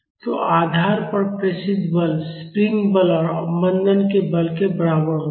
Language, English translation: Hindi, So, the transmitted force to the base is equal to spring force plus damping force